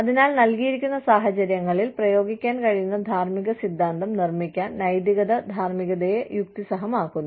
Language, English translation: Malayalam, So, ethics rationalizes morality to produce ethical theory, that can be applied to given situations